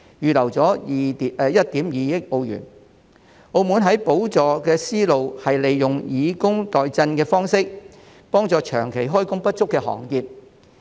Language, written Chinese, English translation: Cantonese, 澳門在補助方面的思路是利用以工代賑的方式，幫助長期開工不足的行業。, Macaos train of thought in respect of subsidization is to help the trades plagued by prolonged underemployment through the adoption of the welfare - to - work approach